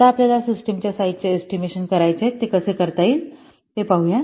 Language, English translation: Marathi, Now we want to estimate the size of the system